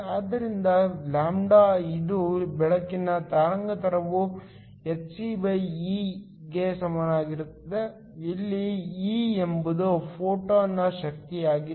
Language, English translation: Kannada, So, λ which is the wavelength of the light is equal tohcE, where E is the energy of the photon